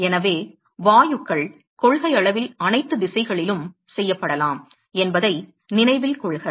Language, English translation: Tamil, So, note that gases can in principle made in all the direction